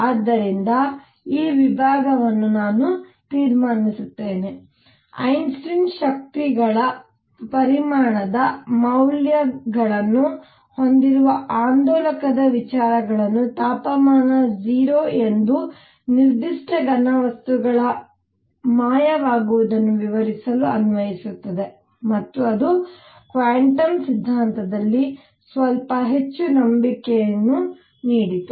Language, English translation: Kannada, So, I conclude this, this section by emphasizing that Einstein applied the ideas of an oscillator having quantized values of energies to explain the vanishing of specific heat of solids as temperature goes to 0 and that gave a little more trust in quantum theory